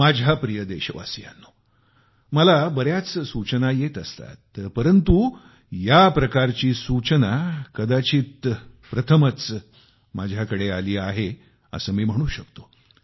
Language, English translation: Marathi, My dear countrymen, I receive a lot of suggestions, but it would be safe to say that this suggestion is unique